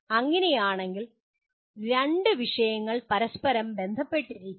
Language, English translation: Malayalam, That is how two topics are related to each other